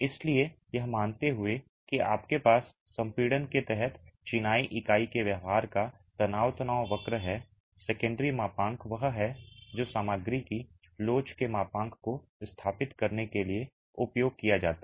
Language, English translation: Hindi, So, assuming that you have the stress strain curve of the behavior of the masonry unit under compression, the Seekind modulus is what is used to establish the modulus of elasticity of the material